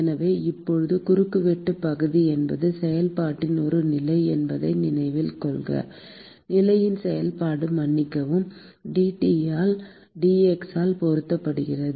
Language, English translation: Tamil, So, note that now the cross sectional area is a position of the function is a function of the position, excuse me; multiplied by dT by dx